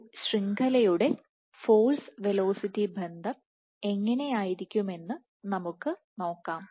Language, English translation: Malayalam, So, now let us see how will the force velocity relationship look for a network